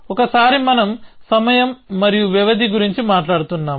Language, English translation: Telugu, Once we were talking about time and durations